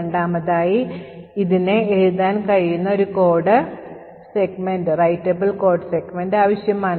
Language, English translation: Malayalam, Secondly, it requires a writable code segment, which could essentially pose problems